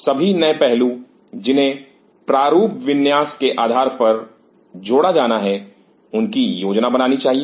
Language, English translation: Hindi, What all new aspects which has to be added based on that the layout design should be planed